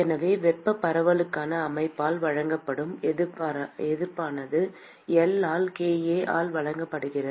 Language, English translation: Tamil, So,the resistance that is offered by the system for thermal diffusion is given by L by kA